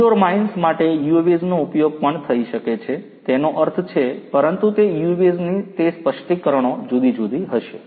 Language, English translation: Gujarati, For indoor mines UAVs could also be used; that means, you know, but those the specifications of those UAVs are going to be different